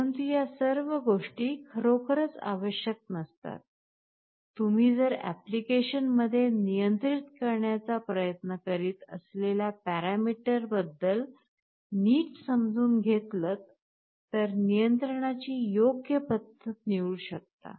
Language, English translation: Marathi, But all these things are really not required, you need to understand better about the parameter you are trying to control in an application and then you can select an appropriate method of control